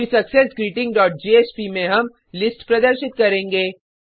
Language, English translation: Hindi, Then in successGreeting dot jsp we will display the list